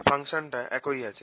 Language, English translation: Bengali, the function has remain the same